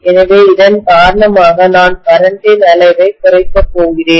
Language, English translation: Tamil, So because of which, I am going to reduce the amount of current